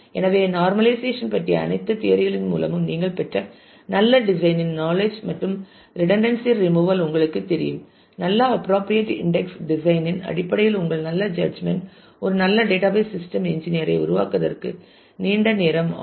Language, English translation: Tamil, So, on top of the knowledge of good design that you acquired through the all the theory of normalization and you know redundancy removal; your good judgment in terms of good appropriate index design will take you a long way in terms of making a very good database system engineer